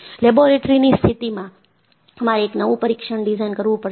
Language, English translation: Gujarati, So, in a laboratory condition, you have to design a new test